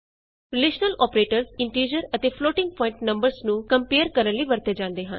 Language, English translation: Punjabi, Relational operators are used to compare integer and floating point numbers